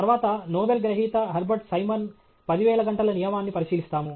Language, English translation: Telugu, Then, we look at the 10,000 hour rule by Herbert Simon, a Nobel Laureate